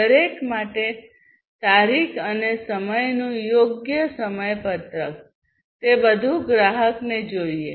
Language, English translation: Gujarati, Scheduling the date and time properly for each, and everything whatever the customer needs